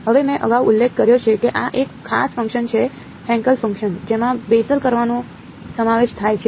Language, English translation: Gujarati, Now I have mentioned this previously this is a special function, Hankel function consisting of Bessel functions right